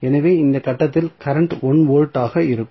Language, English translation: Tamil, So, what you can right at this point for 1 volt what would be the current